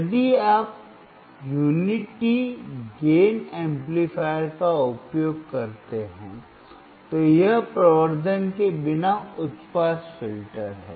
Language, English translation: Hindi, If you use unity gain amplifier, then it is high pass filter without amplification